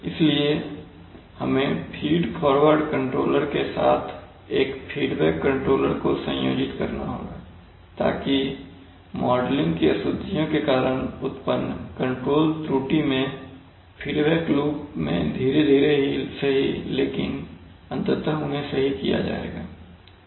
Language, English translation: Hindi, Therefore, we must combine a feedback controller along with the feed forward controller, so that the control error due to the modeling inaccuracies will be connected, corrected in the feedback loop slowly but eventually they will be corrected